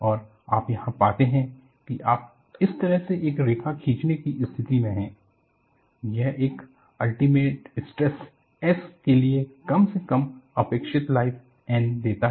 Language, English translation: Hindi, And what you find here is, you are in a position to draw a line like this; that gives the least expected life N for a given alternating stress S